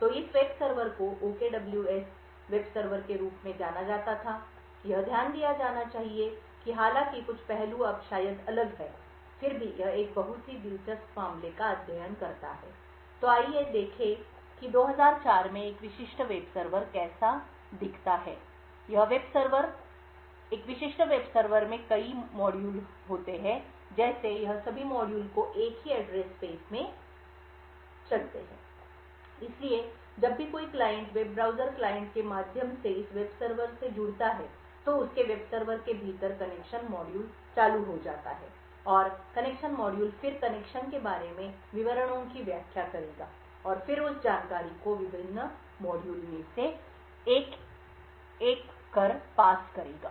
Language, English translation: Hindi, So this web server was known as the OKWS web server, it should be note that although some of the aspects maybe different now, it still makes a very interesting case study so let us look how a typical web server look like in 2004, so the web server, a typical web server had several modules like this all of these modules ran in a single address space, so whenever a client connects to this web server through the web browser client, the connection module within its web server gets triggered and the connection module would then interpret details about the connection and then pass on that information to one of the different modules